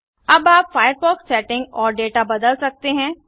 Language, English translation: Hindi, You can now modify the firefox settings and data